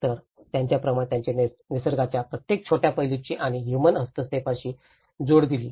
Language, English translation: Marathi, So, like that he did explain the connections of each and every small aspect of nature and the human interventions